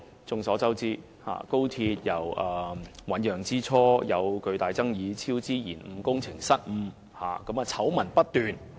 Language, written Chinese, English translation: Cantonese, 眾所周知，高鐵由醞釀之初便出現巨大爭議，超支、延誤、工程失誤，醜聞不斷。, It is widely known that the express rail link XRL faced great controversies at the very beginning of its planning and an avalanche of scandals ensued thereafter such as cost overruns delays and construction blunders